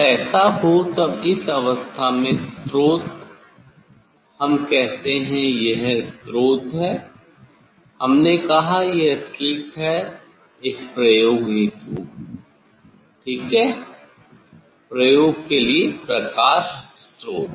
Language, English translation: Hindi, when it will so in this case the source, we tell the source we tell this is the slit is the source for the for the experiment ok; light source for the experiment